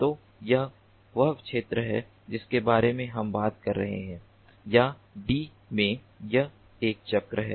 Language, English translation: Hindi, so this is the sphere we are talking about, or in two d, it is a circle